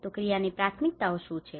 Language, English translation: Gujarati, So what are the priorities of action